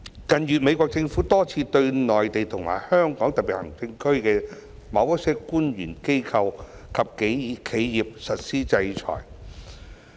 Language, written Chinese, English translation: Cantonese, 近月美國政府多次對內地及香港特別行政區的某些官員、機構及企業實施制裁。, In recent months the United States Government has on a number of occasions imposed sanctions on certain officials organizations and enterprises of the Mainland and the Hong Kong Special Administrative Region